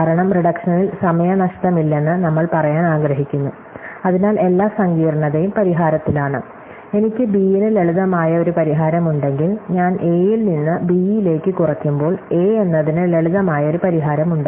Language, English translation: Malayalam, Because, we want to say there is no time loss in the reduction, therefore, all the complexity is in the solution, if I have a simple solution for b, I have a simple solution for a, when I reduce a to b